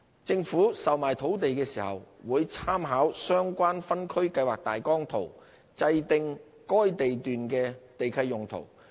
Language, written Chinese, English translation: Cantonese, 政府售賣土地時，會參考相關分區計劃大綱圖制訂該地段的地契用途。, When putting up land for sale the Government will work out the uses of the lots to be specified in the leases by reference to the applicable outline zoning plans